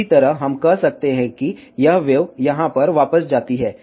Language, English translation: Hindi, Similarly, we can say that this wave goes over here reflects back